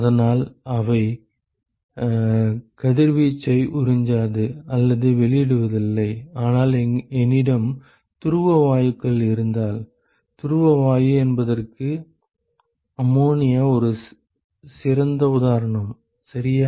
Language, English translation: Tamil, And so they do not absorb or emit radiation, but supposing, if I have polar gases; what is a good example of a polar gas ammonia ok